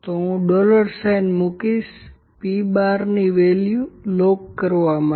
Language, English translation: Gujarati, So, let me put it dollar sign to lock the value of p bar; p bar is to be locked, ok